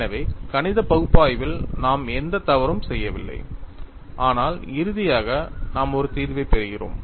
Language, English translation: Tamil, So, we have not done any mistake in the mathematical analysis, but finally, we are getting a solution